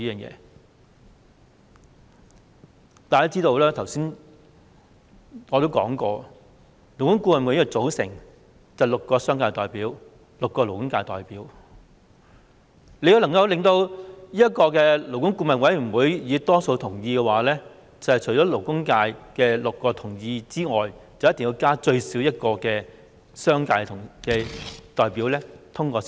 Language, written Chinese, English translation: Cantonese, 我剛才說過，勞顧會由6名商界代表及6名勞工界代表組成，要獲得勞顧會的多數同意，除了勞工界6名代表同意外，至少要加1名商界代表同意。, As I said just now LAB is composed of six representatives of the commercial sector and six representatives of the labour sector . To obtain a majority support from LAB support must be given by at least one representative of the commercial sector on top of the six representatives of the labour sector